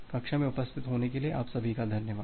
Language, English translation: Hindi, So thank you all for attending the class